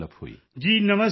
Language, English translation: Punjabi, Ji Namaskar Sir